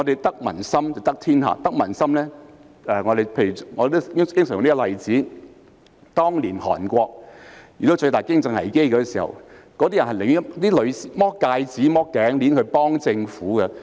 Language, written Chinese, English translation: Cantonese, 得民心便得天下，我經常用的例子是當年韓國遇到最大的經濟危機，韓國市民變賣戒指和頸鏈來幫助政府。, The one who gets the support of people wins the world . The example I have frequently cited is that when Korea faced the greatest economic crisis years ago its citizens sold off their rings and necklaces to help the Government